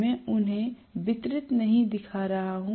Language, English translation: Hindi, I am showing them as not distributed winding